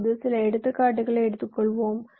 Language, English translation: Tamil, now lets takes some examples